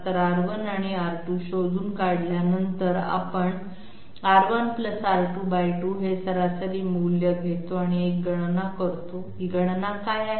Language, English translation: Marathi, So having found out R 1 and R 2 we take the mean value R 1 + R 2 by 2 and do a calculation, what is this calculation